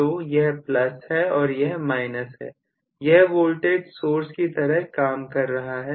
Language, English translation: Hindi, So, this is plus, and this is minus which is working like a voltage source